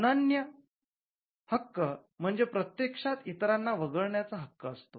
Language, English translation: Marathi, The exclusive right is actually a right to exclude others